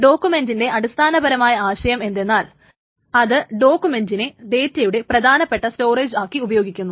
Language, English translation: Malayalam, So what is the basic idea of the document is that it uses documents as the main storage of data